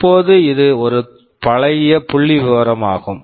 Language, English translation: Tamil, Now, this is a pretty old piece of statistics